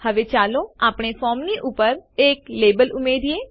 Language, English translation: Gujarati, Now, let us add a label above the form